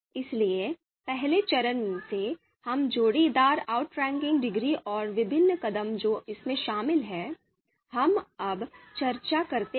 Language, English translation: Hindi, So from the first phase first phase, we get pairwise outranking degrees and the different steps which are involved in this, we have just discussed